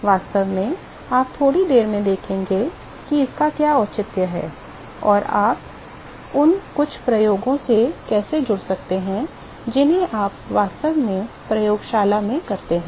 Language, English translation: Hindi, In fact, you will see in a short while what is the rationale for that and how you can connect with some off the experiments that you are actually performed in the lab